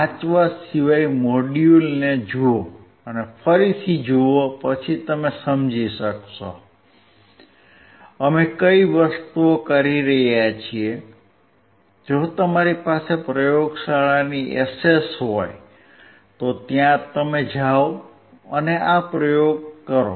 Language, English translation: Gujarati, Other than reading look at the module see again and again then you will understand, what are the things that we are performing, if you have access to the laboratory, please go and perform this experiment